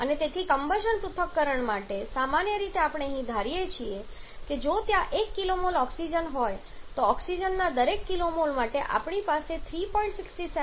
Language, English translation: Gujarati, And therefore for combustion analysis generally we assume here to be comprising off if there is 1 kilo mole of oxygen then for every kilo mole of oxygen we are going to have 3